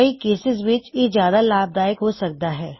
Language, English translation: Punjabi, It may be more useful in some cases